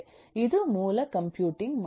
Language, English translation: Kannada, what is the computing model